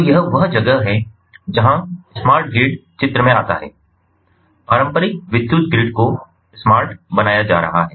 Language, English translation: Hindi, so that is where the smart grid comes into picture, the traditional electrical grid being made smart